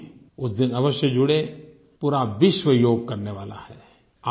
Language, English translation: Hindi, You too must connect yourself with it when the whole world will be doing Yog on that day